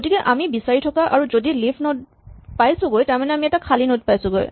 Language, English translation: Assamese, So, we keep searching and if we reach the leaf node then we come to an empty node right